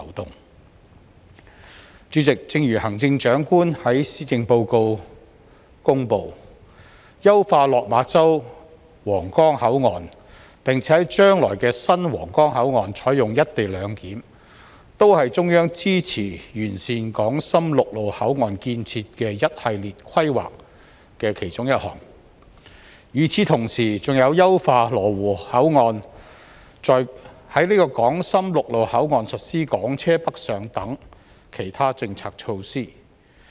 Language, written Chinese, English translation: Cantonese, 代理主席，正如行政長官在施政報告公布，優化落馬洲/皇崗口岸，並且在將來的新皇崗口岸採用"一地兩檢"，均是中央支持完善港深陸路口岸建設的一系列規劃的其中一項，與此同時，還有優化羅湖口岸、在港深陸路口岸實施"港車北上"等其他政策措施。, Deputy President as the Chief Executive announced in the Policy Address the Central Government supports a series of planning measures to improve the infrastructures of the land boundary control points between Hong Kong and Shenzhen . One such measure is to enhance the Lok Ma ChauHuanggang control point and implement co - location arrangement at the new Huanggang control point . And there are other measures as well such as enhancing the Lo Wu control point and allowing Hong Kong private cars to travel to Guangdong through land boundary control points between Hong Kong and Shenzhen